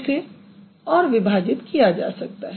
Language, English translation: Hindi, It can actually be broken further